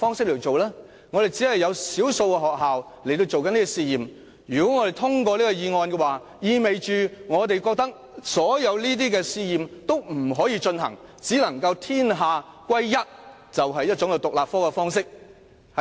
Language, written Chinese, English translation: Cantonese, 雖然只有少數學校正在進行試驗，但如果我們通過這項議案，意味着我們覺得所有試驗均不能進行，只能採用一種獨立科的方式。, Although the pilot scheme is only implemented in a small number of schools if we pass this motion it implies that we reject the pilot scheme and insist that Chinese history must be taught as an independent subject